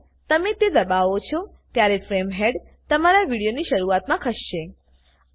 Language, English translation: Gujarati, Whenever you press it, the frame head will move to the beginning of your video